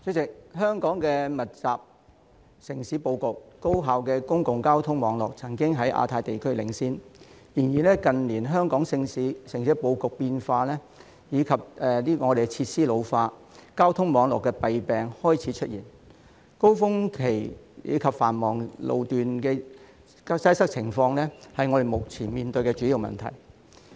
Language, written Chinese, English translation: Cantonese, 主席，香港密集的城市布局及高效的公共交通網絡曾經在亞太區領先，但近年香港城市布局變化及設施老化，交通網絡的弊病開始出現，高峰期及繁忙路段交通擠塞的情況是我們目前面對的主要問題。, President Hong Kongs dense urban configuration and efficient public transport network used to lead the Asia - Pacific region . In recent years however Hong Kongs urban layout has changed and the facilities are ageing . The shortcomings of the transport network are emerging